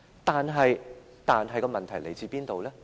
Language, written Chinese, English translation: Cantonese, 但是，問題來自哪裏呢？, But where did the problem come from?